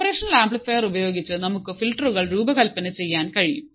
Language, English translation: Malayalam, So, now the point is that with the operational amplifiers we can design filters